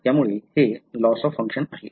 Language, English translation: Marathi, So, it is a loss of function